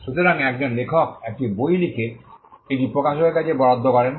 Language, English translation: Bengali, So, an author writes a book and assign it to the publisher